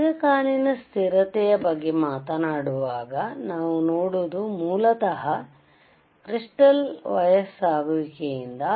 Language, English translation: Kannada, When I talk about long term stability, then what we see is, basically due to aging of crystal material